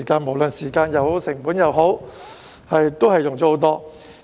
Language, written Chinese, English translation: Cantonese, 無論時間或成本也會很多。, It will be expensive in both time and cost